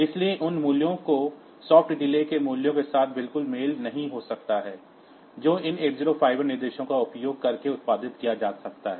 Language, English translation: Hindi, So, those values may not match exactly with the soft delay values that can be produced using these 8051 instructions